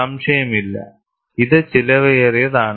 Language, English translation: Malayalam, It is expensive, no doubt